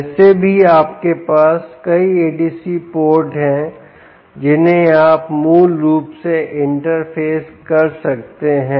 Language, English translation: Hindi, anyway, you have multiple adc ports which you can basically interface